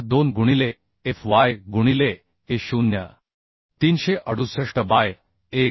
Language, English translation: Marathi, 242 into fy into Ago is 368 by 1